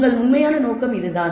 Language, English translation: Tamil, That is the purpose that you have actually got